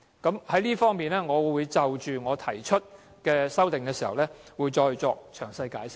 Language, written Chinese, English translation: Cantonese, 在這方面，我在動議修正案時，會再作詳細解釋。, In this connection I will further elaborate when moving my amendment